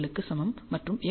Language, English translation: Tamil, 67and x is equal to 0